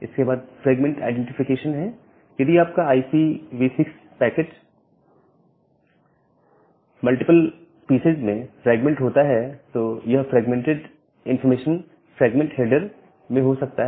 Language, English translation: Hindi, Then the fragment identification; if your IPv6 packet gets fragmented into multiple pieces, then this fragment information can contain in the fragment header